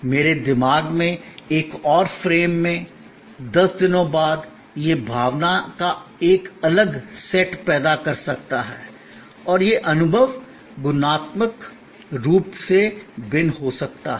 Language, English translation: Hindi, In another frame of my mind, 10 days later, it may evoke a complete different set of emotions and the experience may be qualitatively different